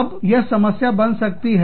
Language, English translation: Hindi, Now, that can become a problem